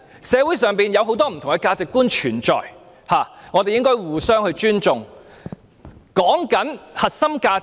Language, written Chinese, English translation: Cantonese, 社會上存在很多不同的價值觀，我們應該互相尊重。, Many different values exist in our society and we must respect each other